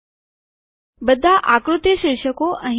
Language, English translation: Gujarati, All the figure captions will appear here